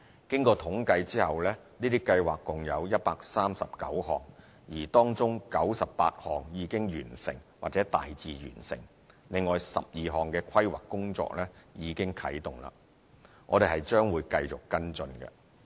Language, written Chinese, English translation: Cantonese, 經統計後，這些計劃共有139項，而當中98項已經完成或大致完成，另有12項的規劃工作已啟動了，我們將會繼續跟進。, After stocktaking it is found that there are altogether 139 such projects . Among them 98 have been completed or largely completed the planning for another 12 projects has commenced and we will continue following - up on them